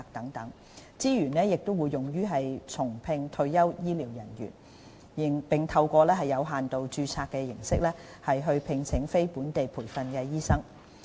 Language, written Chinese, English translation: Cantonese, 相關資源亦會用於重聘退休醫療人員，並透過有限度註冊形式聘請非本地培訓醫生。, The relevant resources will also be deployed to rehire retired health care professionals and employ non - locally trained doctors under limited registration